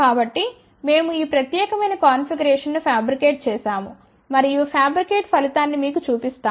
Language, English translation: Telugu, So, we have fabricated this particular configuration and let me show you the fabricated result